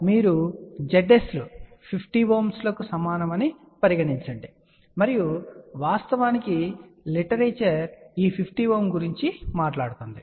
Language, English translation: Telugu, So, here you can see Z s is equal to 50 ohm and most of the literature actually talks about this 50 ohm